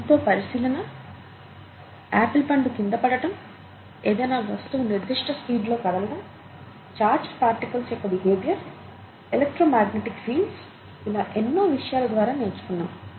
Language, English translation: Telugu, Lot of observations, apple falling, object moving at a certain speed, behaviour of charged particles and electromagnetic fields, and so on